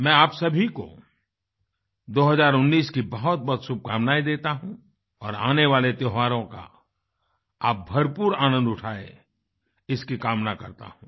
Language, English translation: Hindi, I wish all of you a great year 2019 and do hope that you all to enjoy the oncoming festive season